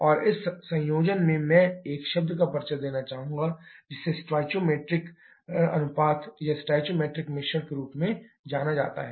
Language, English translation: Hindi, And in this conjunction, I would like to introduce one term that is known as the stoichiometric ratio or stoichiometric mixture